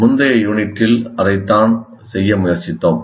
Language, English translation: Tamil, That's what we tried to do in the earlier unit